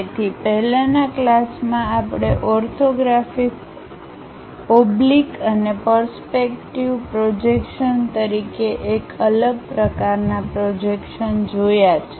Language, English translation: Gujarati, So, in the earlier classes, we have seen different kind of projections as orthographic oblique and perspective projections